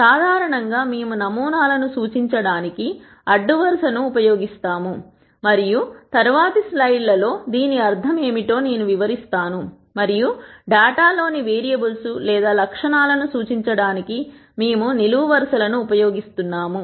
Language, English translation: Telugu, In general, we use the rows to represent samples and I will explain what I mean by this in subsequent slides and we use columns to represent the variables or attributes in the data